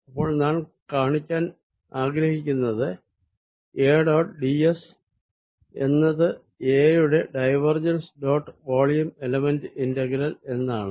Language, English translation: Malayalam, so what we want to show is that a dot d s is going to be divergence of a dot, the volume element, integral